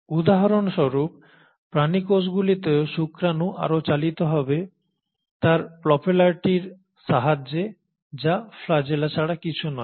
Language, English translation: Bengali, Animal cells for example sperm will propel further with the help of its propeller which is nothing but the flagella